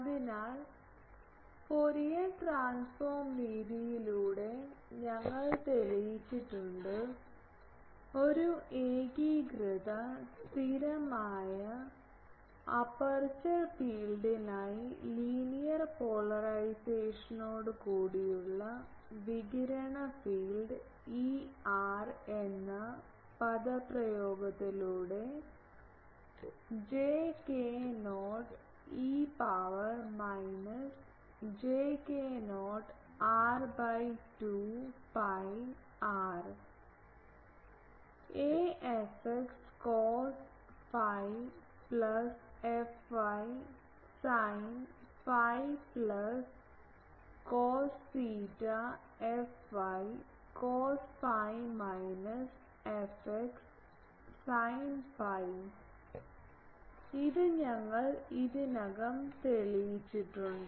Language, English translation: Malayalam, So, we know actually in few lectures back we have proved by Fourier transform method that for a uniform constant phase aperture field with linear polarisation, the radiated field is given by the expression E r j k not e to the power minus k j not r by 2 pi r; a theta f x cos phi plus f y sin phi plus a phi cos theta f y cos phi minus f x sin phi, this we have already proved